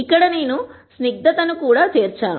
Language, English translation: Telugu, Here I have also included viscosity